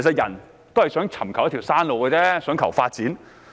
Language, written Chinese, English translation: Cantonese, 人只想尋求一條生路、想求發展。, People only want to find a path to survival and seek development